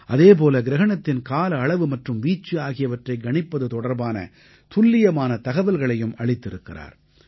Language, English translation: Tamil, He has also provided accurate information on how to calculate the duration and extent of the eclipse